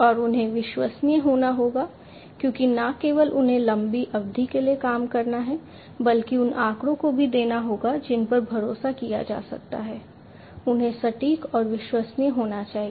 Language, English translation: Hindi, And they have to be reliable, because not only they have to operate for long durations, but will also have to throw in data which can be relied upon; they have to be accurate and reliable